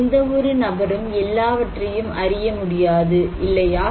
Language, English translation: Tamil, So, no person can know everything, right